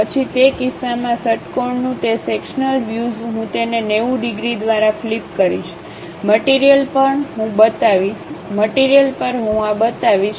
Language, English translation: Gujarati, Then in that case, that sectional view of hexagon I will flip it by 90 degrees, on the material I will show it